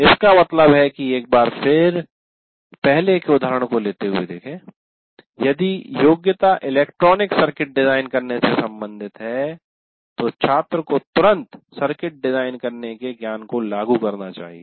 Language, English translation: Hindi, That means, once again taking the earlier example, if the goal, if the competency is related to designing an electronic circuit, the student should immediately apply that knowledge of designing a circuit, however simple it is